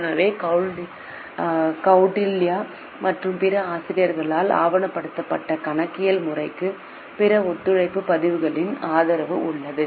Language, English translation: Tamil, So, the accounting system which is documented by Kautil and other authors do have support from other various others collaborative record